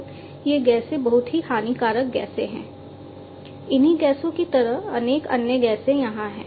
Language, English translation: Hindi, So, these gases are very harmful gases like this there are different other gases that are there